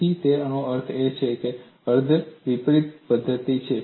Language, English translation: Gujarati, So, in that sense, it is a semi inverse method